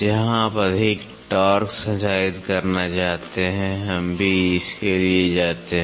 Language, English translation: Hindi, Where you want to transmit more torque we also go for this